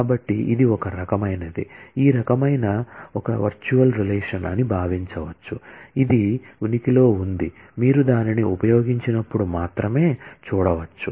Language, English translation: Telugu, So, it is a kind of, can be thought of as a kind of virtual relation, which exists, which can be seen only when you use that